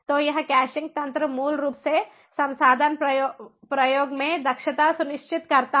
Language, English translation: Hindi, so this caching mechanism basically ensures efficiency in resource utilization